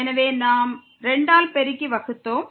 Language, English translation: Tamil, So, we multiplied and divided by 2